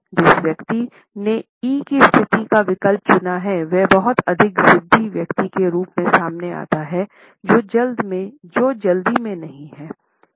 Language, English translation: Hindi, The person who has opted for the E position comes across as a person who is very stubborn and persistent and at the same time is not hurried